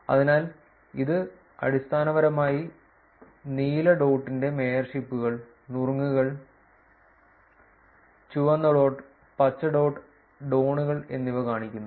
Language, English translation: Malayalam, So, this basically shows you mayorships of the blue dot, tips the red dot, and the green dot being dones